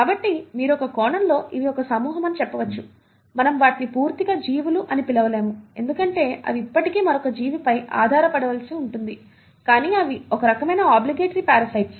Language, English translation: Telugu, So you can in a sense say that these are a group of, we cannot call them as organisms completely because they still need to depend on another living organism, but they are kind of obligatory parasites